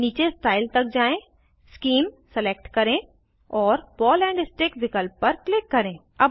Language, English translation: Hindi, Scroll down to Style, select Scheme and click on Ball and Stick option